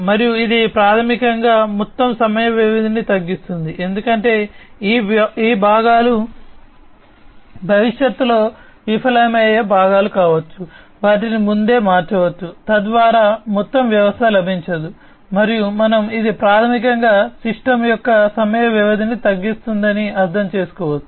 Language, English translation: Telugu, And this basically will reduce the overall downtime, because these parts can be the, the parts which are likely to be failed in the future, they can be replaced beforehand, you know, so that the entire system does not get, you know does not get crippled and as we can understand that this basically will reduce the downtime of the system